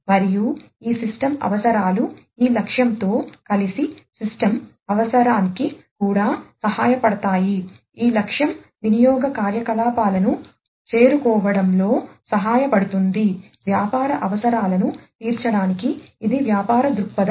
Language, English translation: Telugu, And this will also help these system requirements together with this objective the system requirement together, with this objective will help in arriving at the usage activities, for meeting the business requirements so, this is the business viewpoint